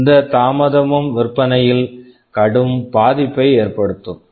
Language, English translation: Tamil, Any delay can result in a drastic reduction in sales